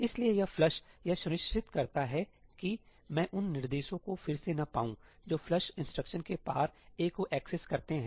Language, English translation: Hindi, So, this flush ensures that I cannot reorder the instructions which access ëaí across the flush instruction